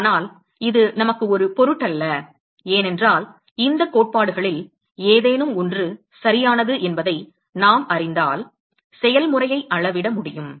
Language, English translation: Tamil, But it would not matter to us because as long as we know either of these theory is right we should be able to quantify the process